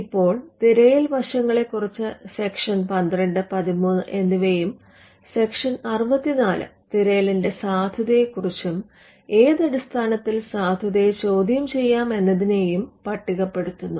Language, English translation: Malayalam, Now section 12 and 13 deals with aspects of search aspects of validity are dealt in section 64, which lists the grounds on which a validity can be questioned